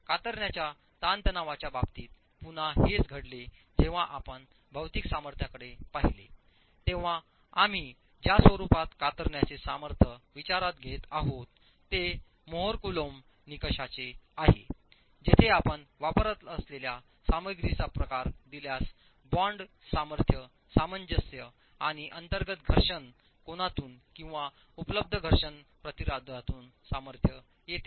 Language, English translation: Marathi, In terms of the shear stress, again, this is something we had seen when we looked at the material strength, that the format in which we are considering the sheer strength is from a more coulum criterion where the strength comes from the bond strength cohesion and the internal friction angle or the frictional resistance available given the type of material that you are using